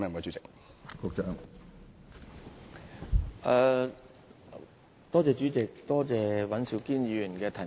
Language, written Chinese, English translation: Cantonese, 主席，多謝尹兆堅議員提問。, President I thank Mr Andrew WAN for his question